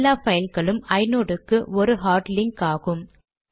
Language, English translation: Tamil, All the files are hard links to inodes